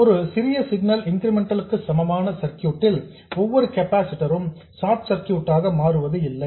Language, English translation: Tamil, In a small signal incremental equivalent circuit, it is not that every capacitor becomes a short